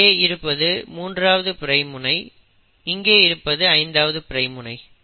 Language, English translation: Tamil, This strand has a 5 prime end here and a 3 prime end here